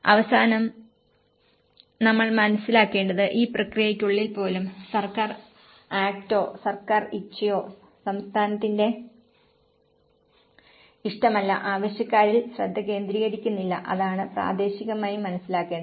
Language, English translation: Malayalam, At the end, what we have to understand is even within this process, the government act or the government will is not the state will is not focusing on the needy, that is one thing would have to primarily understand